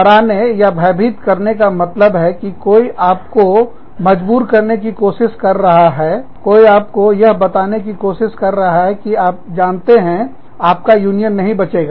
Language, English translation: Hindi, Intimidation means, that somebody is trying to force you, somebody is trying to tell you, that you know, your union will not survive